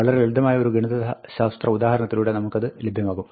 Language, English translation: Malayalam, Let us get to it, through a simpler mathematical example